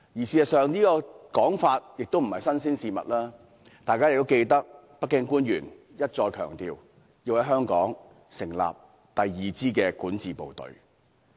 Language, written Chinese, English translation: Cantonese, 事實上，這說法並不是甚麼新鮮事物，相信大家仍然記得，北京官員一再強調要在香港成立第二支管治部隊。, In fact this statement is nothing new; I believe Members still remember that Beijing officials have repeatedly stressed the need to form a second governance team in Hong Kong